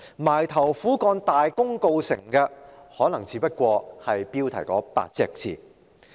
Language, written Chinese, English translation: Cantonese, 埋頭苦幹而大功告成的，可能只是標題那8個字。, In other words the assiduous effort made can only successfully bring forth the four - word title